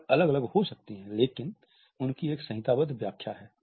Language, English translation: Hindi, They may be different, but they do have a codified interpretation